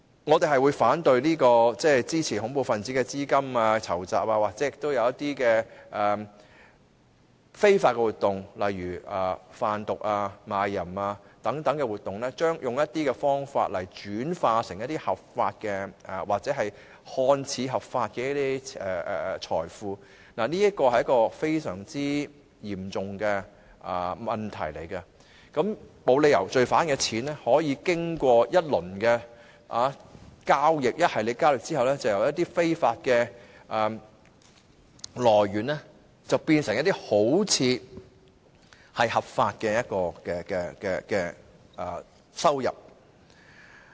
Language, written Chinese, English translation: Cantonese, 我們反對支持恐怖分子籌集資金進行或非法活動，例如販毒、賣淫等，透過一些方法將資金轉化為合法或看似合法的財富，這是非常嚴重的問題，我們沒有理由讓罪犯的金錢在經過多番交易後，由非法的來源變成看似合法的收入。, We oppose the financing or illegal activities of terrorists such as drug trafficking and prostitution through which money is converted into legitimate or seemingly legitimate wealth . This is a very serious problem . There is no reason why we should allow the money of criminals obtained from illegal sources to be turned into seemingly legitimate income after numerous transactions